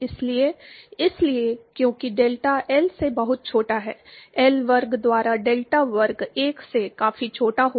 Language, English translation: Hindi, So, therefore, because delta is much smaller than L, delta square by L square will be significantly smaller than 1